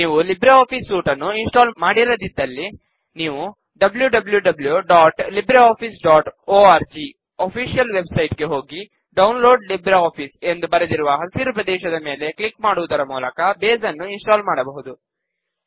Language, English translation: Kannada, If you have not installed LibreOffice Suite, you can install Base by visiting the official website and clicking on the green area that says Download LibreOffice